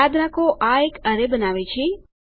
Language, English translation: Gujarati, Remember this creates an array